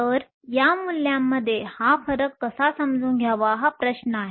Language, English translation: Marathi, So, the question is how to understand this difference in these values